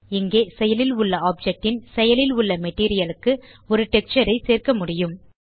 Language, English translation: Tamil, Here we can add a texture to the active material of the active object